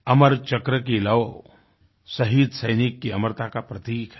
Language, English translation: Hindi, The flame of the Amar Chakra symbolizes the immortality of the martyred soldier